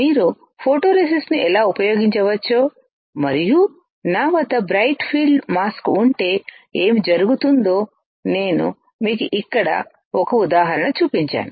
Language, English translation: Telugu, Here, I have shown you an example how you can use a photoresist and if I have a bright field mask what will happen